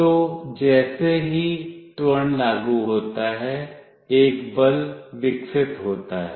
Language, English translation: Hindi, So, as an acceleration is applied, a force is developed